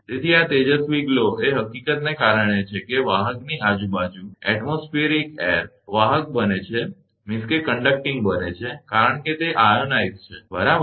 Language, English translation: Gujarati, So, this luminous glow is due to the fact, that the atmospheric air around the conductor becomes conducting, because it is ionize right